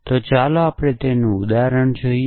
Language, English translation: Gujarati, So, let us see an example of this